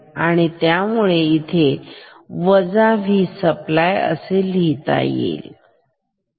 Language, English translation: Marathi, So, I can let me write minus V supply